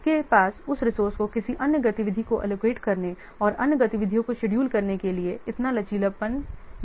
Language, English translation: Hindi, You don't have that much flexibility to allow that resource to another activity and schedule the other activities